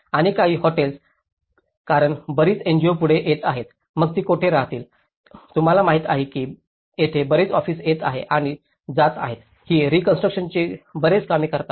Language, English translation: Marathi, And some of the hotels because a lot of NGOs coming forward, so where do they stay, you know there is many offices coming here and going and doing lot of reconstruction work